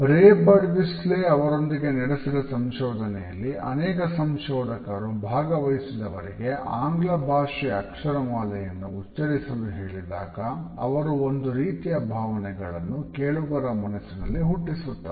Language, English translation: Kannada, In their findings, in association with ray Birdwhistle, various researchers asked participants to recite the English alphabet in such a way that they are able to project a certain mood or emotion to the listener